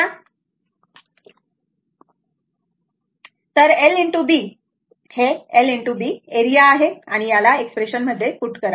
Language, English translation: Marathi, So, l into B, this l and B is equal to A and you put in put in this expression